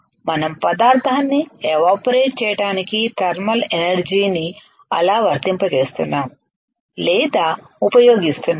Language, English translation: Telugu, That is how we are applying or we are using thermal energy to evaporate the material cool alright excellent